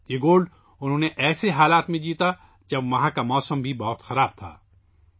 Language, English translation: Urdu, He won this gold in conditions when the weather there was also inclement